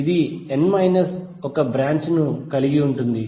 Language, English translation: Telugu, It will contain n minus one branches